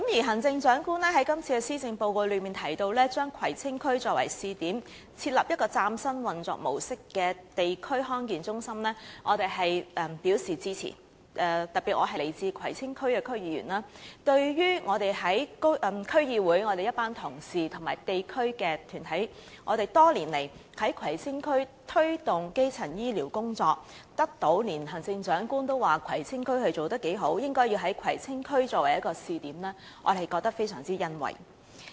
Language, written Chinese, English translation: Cantonese, 行政長官在施政報告中提到要將葵青區作為試點，設立一個嶄新運作模式的地區康健中心，我們表示支持，尤其是我是葵青區區議員，我們在區議會的一群同事及地區團體多年來在葵青區推動基層醫療工作，連行政長官也讚賞葵青區做得不錯，應該以葵青區作為一個試點，我們對此感到非常欣慰。, We express our support for it especially since I am a member of the Kwai Tsing District Council . Our colleagues in the District Council DC and the community groups have promoted primary health care in Kwai Tsing District for years . Even the Chief Executive has commended that the work in Kwai Tsing District is well done and Kwai Tsing District should serve as a test point